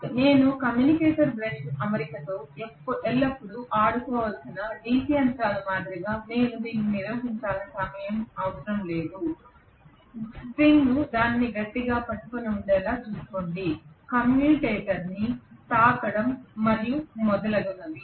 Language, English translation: Telugu, So I do not have to maintain it at all unlike DC machines where I have to play around always with the commutator brush arrangement, make sure that the spring is holding it tight, touching the commutator and so on and so forth